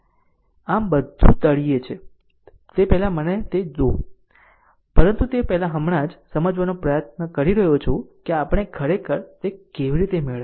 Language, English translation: Gujarati, So, let me so before everything is there at the bottom, but before that I am just trying to explain that how we actually obtained it